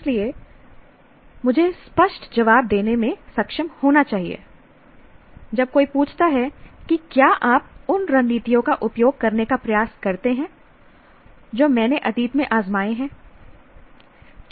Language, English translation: Hindi, So I should be able to give a clear answer when somebody says, do you try using strategies that have worked in the past